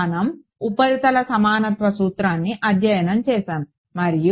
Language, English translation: Telugu, We studied surface equivalence principle and